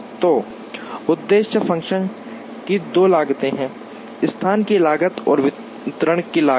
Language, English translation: Hindi, So, the objective function has two costs, costs of location and costs of distribution